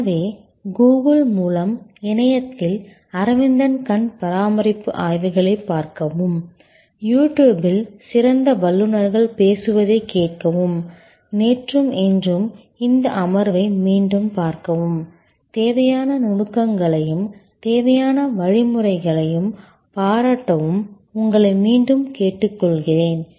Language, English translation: Tamil, So, I will request you again to look at Aravind eye care case studies on the web through Google, listen to great experts talking about them on YouTube and look at this session of yesterday and today again and appreciate the nuances, the steps that are necessary to create service excellence